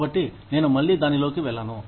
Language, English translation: Telugu, So, I will not go into it, again